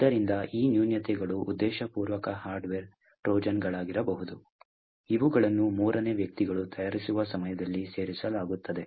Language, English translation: Kannada, these flaws could be intentional hardware Trojans that are inserted at the time of manufacture by third parties